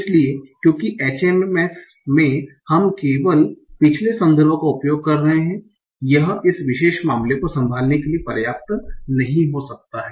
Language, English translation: Hindi, So because in HMS we are only using this the previous context, this might not be sufficient to handle this particular case